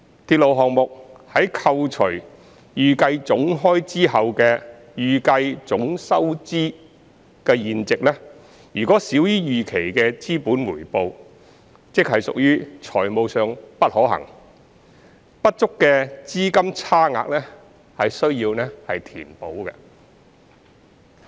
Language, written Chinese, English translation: Cantonese, 鐵路項目在扣除預計總開支後的預計總收入現值，若少於預期的資本回報，即屬"財務上不可行"，不足的資金差額需要填補。, A railway project is considered not financially viable if the present value of all its revenues net of expenditures fall short of the expected return on capital . This funding gap will need to be filled